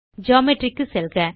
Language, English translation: Tamil, Go to Geometry